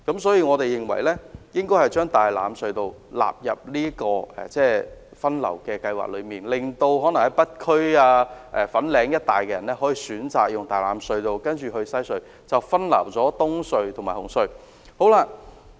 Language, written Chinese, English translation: Cantonese, 所以，我們認為應把大欖隧道納入這項分流計劃，令北區居民可選擇使用大欖隧道，然後駛經西隧，以分流東隧和紅隧的車流量。, Hence we think the rationalization scheme should include TLT so that residents in the Northern District can use TLT and then cross WHC to divert the traffic flows at EHC and CHT